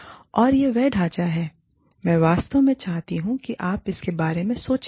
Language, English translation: Hindi, And, this is the framework, that i really want you to think about